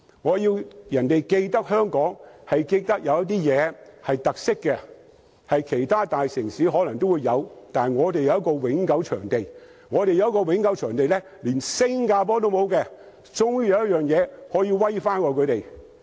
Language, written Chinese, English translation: Cantonese, 我希望別人記得香港，是記得香港的特色事物，這些事物或者其他大城市都有，但我們卻有一個永久場地，而這個永久場地是連新加坡也沒有的，香港終於有一件事比新加坡優勝。, I hope Hong Kong can be remembered for its characteristics that is unique attractions which cannot be found in other major cities . For instance if we have a permanent motor racing circuit it will be an attraction which cannot be found even in Singapore . Finally there is an area in which Hong Kong fares better than Singapore